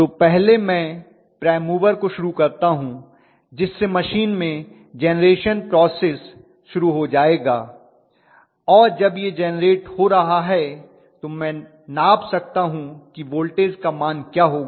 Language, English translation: Hindi, So first thing I do is to start the prime mover, start the generation process in my machine and once it is generating I can measure what is the value of voltage, the voltage should be matched by adjusting the excitation